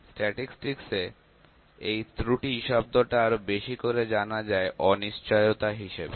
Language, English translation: Bengali, So, I am going to talk about statistics here; in statistics the term error is more known as uncertainty